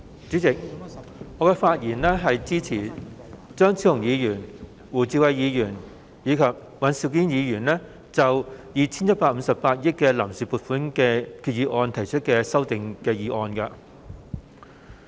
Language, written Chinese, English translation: Cantonese, 主席，我發言支持張超雄議員、胡志偉議員及尹兆堅議員就 2,158 億元臨時撥款決議案提出的修訂議案。, President I rise to speak in support of the amendments to the proposed Vote on Account VoA Resolution involving some 215.8 billion moved by Dr Fernando CHEUNG Mr WU Chi - wai and Mr Andrew WAN